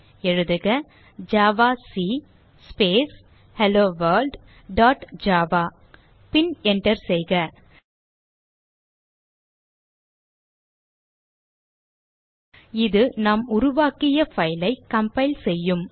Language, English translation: Tamil, Lets compile this file so type javac Space HelloWorld dot java and hit enter This compile the file that we have created